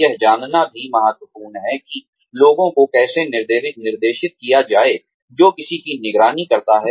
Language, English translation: Hindi, It is also important to know, how to direct people, who one supervises